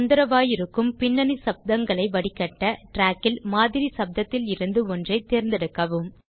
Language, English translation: Tamil, To filter out disturbing background noises, select a portion on the track with the sample noise